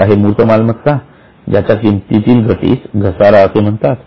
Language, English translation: Marathi, There are tangible assets when they lose value it is called as being depreciated